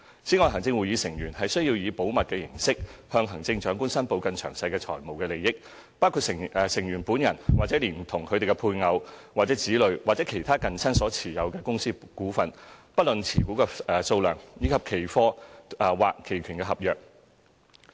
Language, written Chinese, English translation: Cantonese, 此外，行政會議成員須以保密形式向行政長官申報更詳細的財務利益，包括成員本人或連同配偶或子女或其他近親所持有的公司股份，以及期貨或期權合約。, In addition ExCo Members should declare to the Chief Executive on a confidential basis and in greater detail their financial interests including shareholdings in companies as well as futures and options contracts held by themselves or jointly with their spouses children or other close relatives